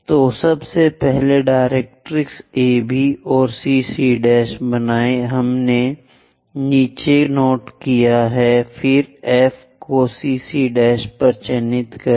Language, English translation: Hindi, So, the 1st point draw directrix AB and CC prime we have noted down, then mark F on CC prime